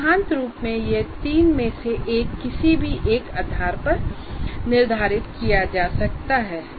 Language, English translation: Hindi, In principle, it can be done by any of the three varieties